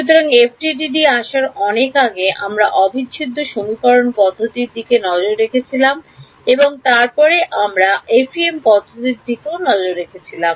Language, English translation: Bengali, So, far before we came to FDTD was we looked at integral equation methods and then we looked at FEM methods